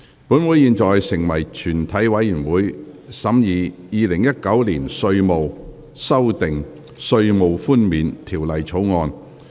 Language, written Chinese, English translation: Cantonese, 本會現在成為全體委員會，審議《2019年稅務條例草案》。, Council now becomes committee of the whole Council to consider the Inland Revenue Amendment Bill 2019